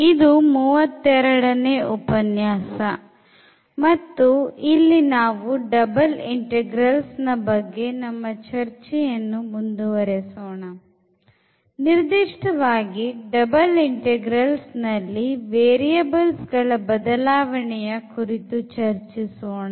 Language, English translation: Kannada, And this is lecture number 32 and we will continue discussion on the double integrals and in particular today we will discuss an very very important topic that is Change of Variables in Double Integrals